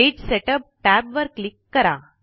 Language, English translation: Marathi, Click the Page Setup tab